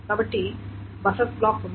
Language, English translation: Telugu, So there is a buffer block